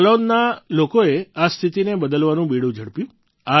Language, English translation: Gujarati, The people of Jalaun took the initiative to change this situation